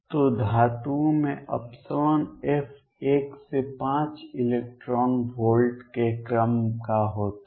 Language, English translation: Hindi, So, epsilon f in metals is of the order of one to 5 electron volts